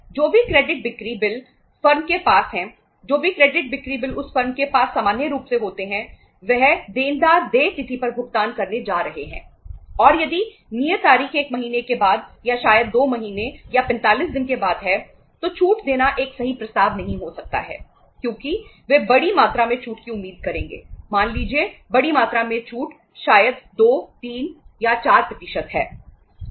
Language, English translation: Hindi, Whatever the credit sales bills firm has whatever the credit sale bills the firm has normally those debtors are going to pay on the due date and that if the due date is after say a month or maybe after 2 months or 45 days I think giving the discount may not be a right proposition because they would expect a big amount of discount say large amount of discount maybe 2, 3, 4%